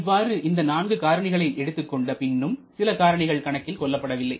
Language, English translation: Tamil, But apart from this 4 considerations there are still quite a few factors left out